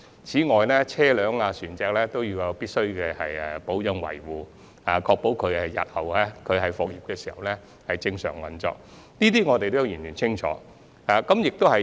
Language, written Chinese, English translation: Cantonese, 此外，車輛和船隻也必須進行保養維護，以確保日後復業時可以正常運作，對此我們也相當清楚。, In addition we know full well that maintenance and repair of vehicles and vessels are necessary to ensure their normal operation upon resumption of services